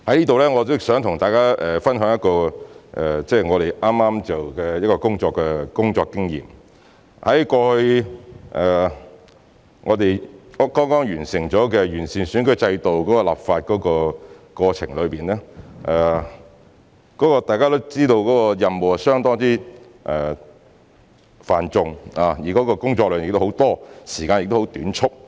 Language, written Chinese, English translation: Cantonese, 在此，我想跟大家分享一個工作經驗，最近在完善選舉制度立法的過程中，大家也知道有關任務相當繁重，工作量亦很多，時間也十分短促。, I want to share my work experience with you here . During the legislative process for improving the electoral system you all know it was a task with heavy workload and a tight schedule